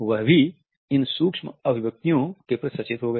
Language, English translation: Hindi, He also became conscious of these micro expressions and he coined the term